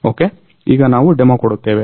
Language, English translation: Kannada, Ok So, now, we will give the demo